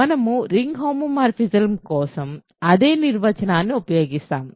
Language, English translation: Telugu, So, we use the same definition for ring homomorphisms